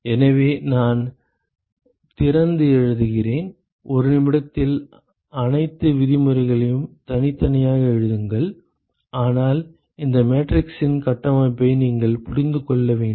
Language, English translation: Tamil, So, I will open up and write it out write all the terms separately in a minute, but you should understand the structure of this matrix ok